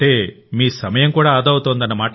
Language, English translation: Telugu, Meaning, your time is also saved